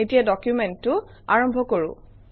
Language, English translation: Assamese, Let me begin the document